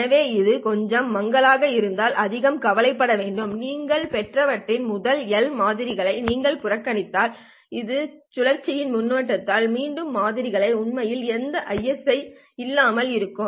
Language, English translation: Tamil, If you ignore the first L samples of what you have received, right, which is the cyclic prefix, then the remaining samples are actually without any ISI